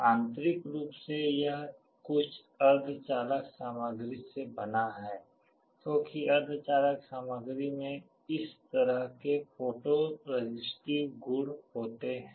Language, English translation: Hindi, Internally it is made out of some semiconductor material, because semiconductor materials have this kind of photo resistive property